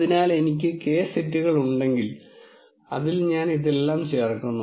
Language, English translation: Malayalam, So, if I have K sets into which I am putting all of this in